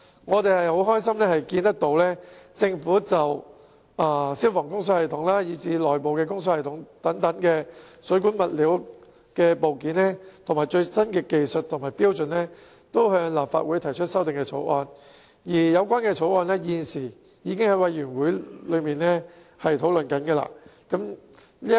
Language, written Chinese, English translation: Cantonese, 我們很高興看到政府就消防供水系統及內部供水系統等水管物料和部件的最新技術和標準向立法會提出修正案，有關修正案亦已交由相關委員會討論。, We are delighted to see that the Government has introduced amendments to the Legislative Council concerning the latest technologies and standards for plumbing materials and components used in fire service and inside service systems . And the relevant amendments have already been discussed by the relevant committee